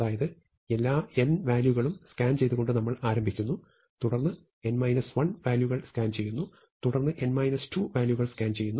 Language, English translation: Malayalam, So, we start by scanning all n elements, then we scan n minus 1 elements, then we scan n minus 2 elements and so on